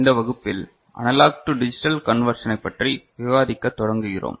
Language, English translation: Tamil, In this class, we start discussing Analog to Digital Conversion